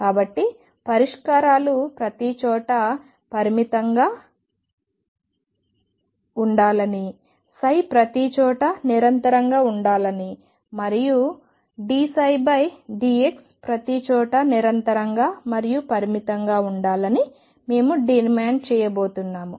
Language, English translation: Telugu, So, we are going to demand that the solutions be finite everywhere psi be continuous everywhere and d psi by d x be continuous and finite everywhere